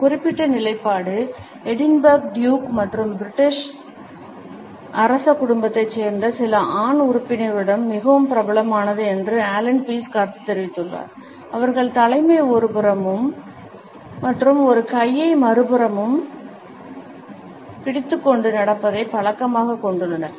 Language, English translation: Tamil, Allen Pease has commented that this particular position is very popular with the duke of Edinburgh as well as certain other male members of the British royal family who are noted for their habit of walking with their head up chin out and one hand holding the other hand behind the back